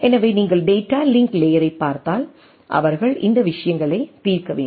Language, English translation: Tamil, So, if you look at the data link layer, they need to resolve these things